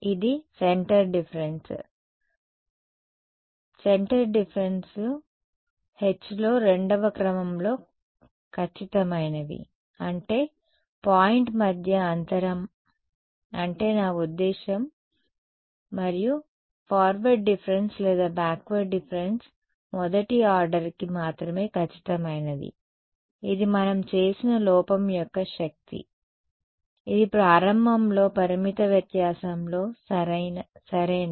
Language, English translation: Telugu, It is a centre difference; centre differences is accurate to second order in h the spacing between a point that is what I mean and forward difference or backward difference are only accurate to first order it is the power of the error we have done that it in the beginning in finite difference ok